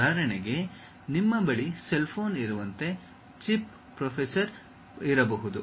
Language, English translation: Kannada, For example, like you have a cell phone; there might be a chip processor